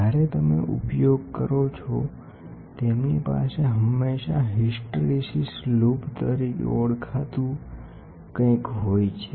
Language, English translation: Gujarati, When you use, they always have something called as hysteresis loop